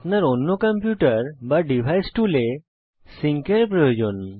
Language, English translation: Bengali, You need sync to other computer or device tool